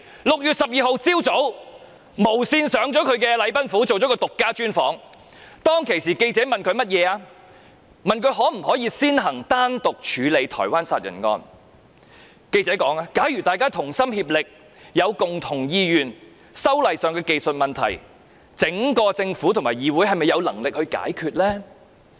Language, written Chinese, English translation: Cantonese, 6月12日早上，無綫電視攝影隊到禮賓府為她進行獨家專訪，當時記者問她可否先行單獨處理台灣殺人案，記者問："假如大家同心，有共同意願，修例上的技術問題，整個政府和議會是否有能力解決得到？, On the morning of 12 June she was exclusively interviewed by the Television Broadcasts Limited at the Government House . During the interview the question of whether the Taiwan homicide case could be handled first was raised . The reporter asked If everyone is dedicated to the same course do the entire Government and the Council have the capability to resolve the technical problems concerning the legislative amendment?